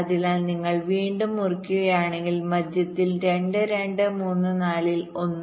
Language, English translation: Malayalam, so here again, if you cut at the middle point, two, two, three, four will be in one